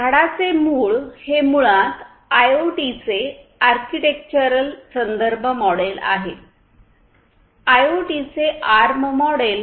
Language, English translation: Marathi, So, this is this trunk is basically the architectural reference model of IoT, the arm model of IoT